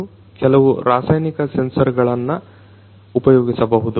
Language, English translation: Kannada, And some chemical sensors could be used